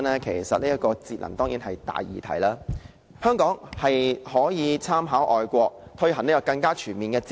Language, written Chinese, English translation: Cantonese, 其實，節能當然是大議題，香港可以參考外國的做法，更全面推行節能。, In fact energy saving is a big topic . Hong Kong can take reference from overseas practices to fully promote energy saving